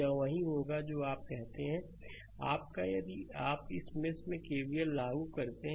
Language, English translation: Hindi, This will be your what you call that your, if you apply KVL in this mesh